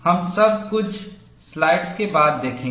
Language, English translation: Hindi, We will see all that, after a few slides